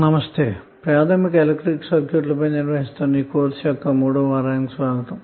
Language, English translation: Telugu, Namashkar, so welcome to the 3 rd week of our course on basic electrical circuits